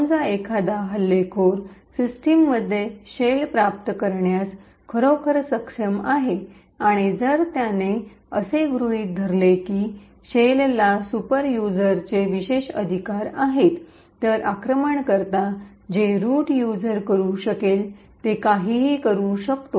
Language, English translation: Marathi, Suppose an attacker actually is able to obtain a shell in a system and if he assume that the shell has superuser privileges then the attacker has super user privileges in that system and can do anything that root user can do